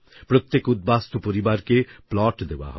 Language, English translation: Bengali, Each displaced family will be provided a plot of land